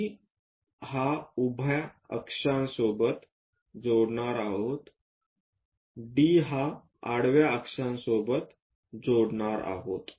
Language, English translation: Marathi, Join C onto this axis vertical axis join D with horizontal axis